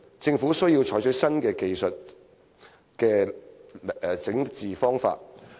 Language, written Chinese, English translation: Cantonese, 政府需要採取新的技術治理方法。, The Government needs to adopt new methods of technological governance